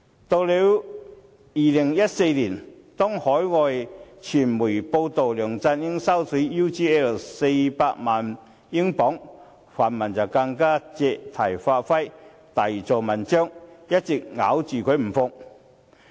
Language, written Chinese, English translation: Cantonese, 到了2014年，當海外傳媒報道梁振英收取 UGL 400萬英鎊時，泛民更加借題發揮，大做文章，一直咬着他不放。, Later in 2014 when reports were made by overseas media about LEUNG Chun - ying accepting payments of £4 million from UGL the pan - democrats seized the opportunity to play up the story and they have been going after him ever since